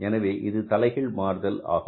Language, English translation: Tamil, So, it is a inverse relationship, right